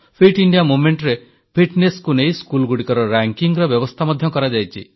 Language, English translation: Odia, In the Fit India Movement, schedules have been drawn for ranking schools in accordance with fitness